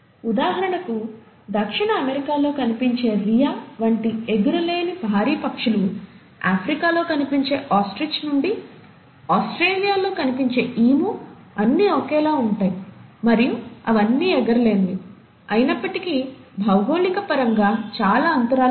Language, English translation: Telugu, For example, he observed that giant flightless birds like Rhea which is found in South America, Ostrich which is found in Africa to Emu which is found in Australia, they all look similar, and they all are flightless, yet they are so much spaced apart in terms of the geography